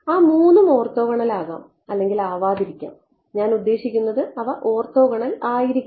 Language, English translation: Malayalam, Those three may or may not be, I mean, they should be orthogonal I should not say